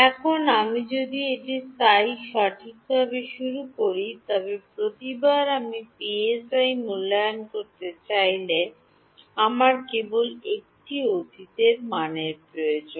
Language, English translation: Bengali, Now, if I initialize this psi n psi properly, then every time I want to evaluate psi, I just need one past value